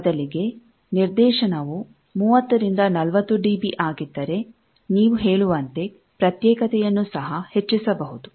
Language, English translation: Kannada, If directivity instead could have been 30 40 db you say isolation also could have been increased a lot